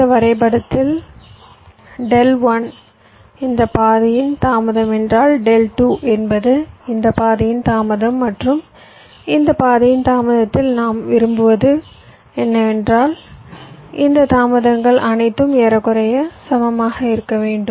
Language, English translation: Tamil, so so, whatever i have shown here, if delta one is the delay of this path, delta two is the delay of this path and delta in the delay of this path, what i want is that these delays should all be approximately equal